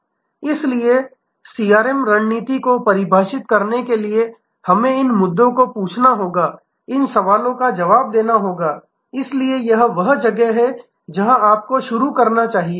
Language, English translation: Hindi, So, to define a CRM strategy we have to ask these issues and answer these questions, so this is where you should start